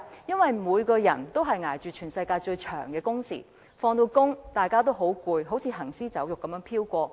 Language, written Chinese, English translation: Cantonese, 因為每個人都在捱着全世界最長的工時，下班後人人都很疲倦，好像行屍走肉般飄過。, Because everyone here is enduring the worlds longest working hours and after they get off work they are so tired that they look like zombies walking around